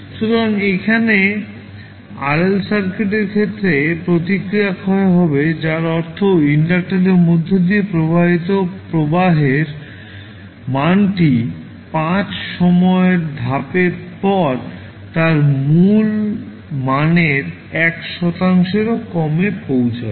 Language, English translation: Bengali, So, here in case of RL circuit the response will decay that means the value of current that is flowing through the inductor, will reach to less than 1 percent of its original value, after 5 time constants